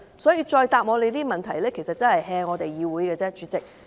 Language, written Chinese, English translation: Cantonese, 所以，局長如此回答質詢只是敷衍議會而已，主席。, Therefore President the Secretary is just being perfunctory in giving the Council such a reply to the question